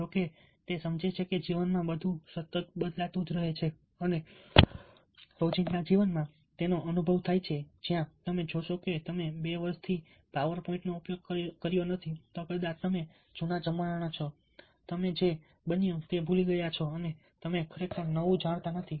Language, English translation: Gujarati, how that realizes in that everything is perpetually changing, and experiencing it in life everyday, where you see that if you have not used far point for two years, then probably your old fashion, you have forgotten, ah, what has happened and you dont really know the new things that have come up